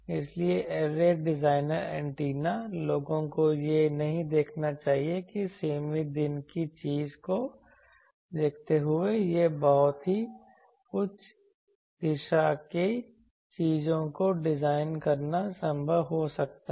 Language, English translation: Hindi, So, array designer antenna people should not lose sight of that it can be possible to design the very high directivity things given a limited day thing